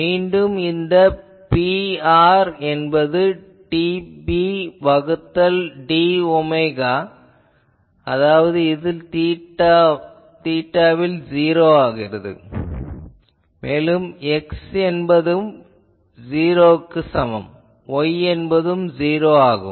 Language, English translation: Tamil, Again that this is P r, then dP d omega at theta is equal to 0 so, there again your X is equal to 0, Y capital Y is 0